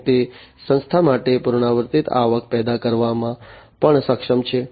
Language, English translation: Gujarati, And it is also capable of generating recurrent revenues for the organization